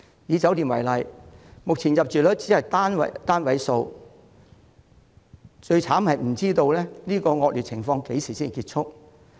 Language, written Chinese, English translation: Cantonese, 以酒店業為例，目前入住率只有單位數，而最糟的是這種惡劣情況不知道何時才結束。, Take the hotel sector as an example . Occupancy rates are currently in the single digits and worst of all it is not known when the tough time will end